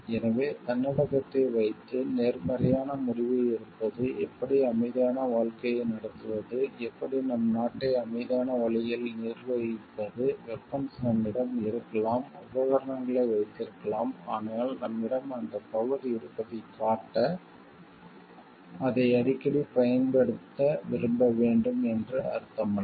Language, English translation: Tamil, So, having a self control on oneself taking a positive decision towards, how we can lead a peaceful life, how we can manage our country in a peaceful way, with the we may be having the weapons we may be having the equipments, but it does not mean we need to like use it time and again often, to show that we have that power